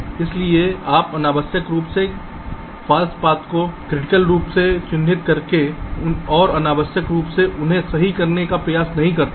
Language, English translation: Hindi, so you do not unnecessarily try to mark the wrong paths as critical and just unnecessarily put some effort in optimizing them right